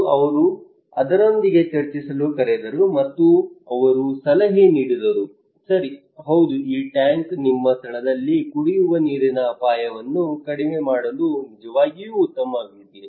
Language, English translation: Kannada, And he called him discussed with him and they advised that okay yes this tank is really potentially good to reduce the drinking water risk at your place